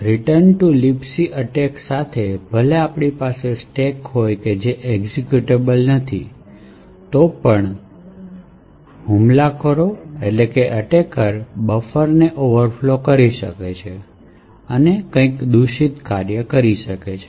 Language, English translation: Gujarati, With a return to libc attack even though we have a stack which is non executable, still an attacker would be able to overflow a buffer and do something malicious